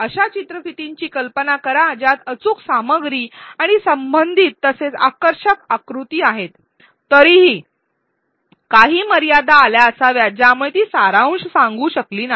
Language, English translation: Marathi, Imagine a video which has accurate content and relevant as well as attractive diagrams, yet there must have been some limitations because of which she was unable to summarize